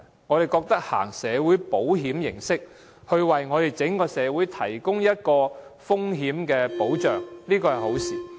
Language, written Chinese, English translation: Cantonese, 我們以社會保險的形式，為整個社會提供風險保障，這是好事。, It is desirable if we offer risk protection for the broader community by way of social security